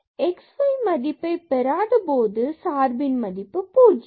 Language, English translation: Tamil, And the value is 0 when x y equal to 0 0